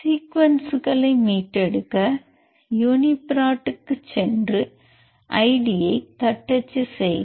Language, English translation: Tamil, So, to retrieve the sequence go to uniprot and type the id and it will show the full annotation